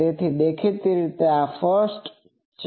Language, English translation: Gujarati, So, obviously, this is 1